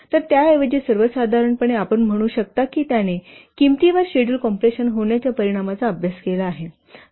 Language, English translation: Marathi, So, or in say, in general you can say he has studied the effect of schedule compression on the cost